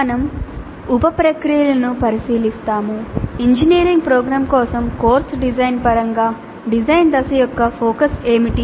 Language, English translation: Telugu, We look into the sub processes, what is the focus of the design phase in terms of course design for an engineering program